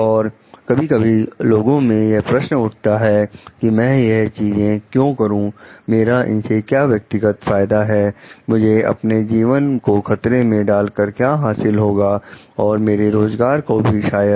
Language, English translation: Hindi, And like sometimes like questions people ponder on like why should I do these things, what is my personal benefit, what is my gain on in like risking my life, and maybe my job